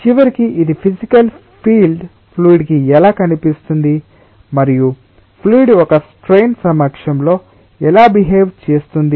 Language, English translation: Telugu, at the end it is a physical feel that ah how the fluid will look like and ah how the fluid behaves in presence of a strain